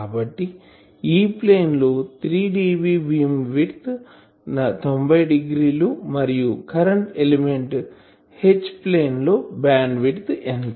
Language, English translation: Telugu, So, in the E plane , the beam width is 90 degree and in the H plane of the current element , what will be the bandwidth